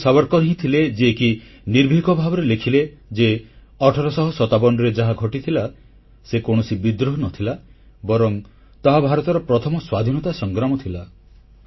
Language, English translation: Odia, It was Veer Savarkar who boldly expostulated by writing that whatever happened in 1857 was not a revolt but was indeed the First War of Independence